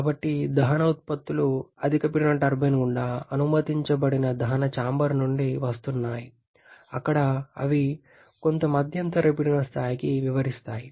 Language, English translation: Telugu, So the combustion products are coming from the combustion chamber allowed to pass through the high pressure turbine where they are expanding to some intermediate pressure level